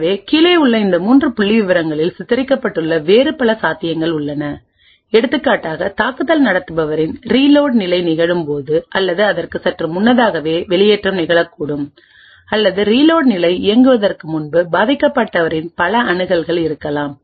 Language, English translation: Tamil, So there are many other possibilities which are depicted in these 3 figures below; for example, the eviction could occur exactly at that time when attacker’s reload phase is occurring or slightly before, or there could be also multiple accesses by the victim before the reload phase executes